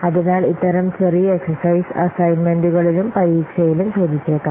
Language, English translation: Malayalam, So, these types of small exercises may be asked in the assignments as well as in the examination